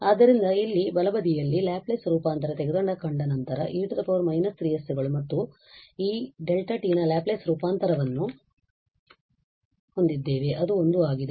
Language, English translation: Kannada, So, the right hand side here after taking the Laplace transform we will have e power minus 3 s and the Laplace transform of this delta t which is 1